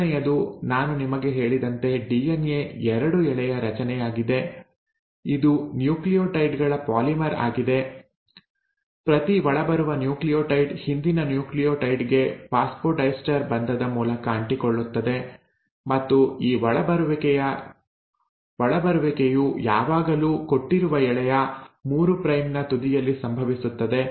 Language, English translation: Kannada, The first one, as I told you that DNA is a double stranded structure, it is a polymer of nucleotides, each incoming nucleotide attaches to the previous nucleotide through a phosphodiester bond and this incoming always happens at the 3 prime end of the given Strand